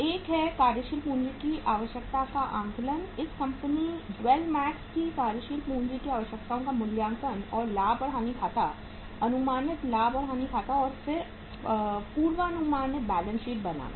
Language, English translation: Hindi, One is the working capital requirement assessment uh, the assessment of the working capital requirements for this company that is Dwell Max and profit and loss account, estimated profit and loss account and then the forecasted balance sheet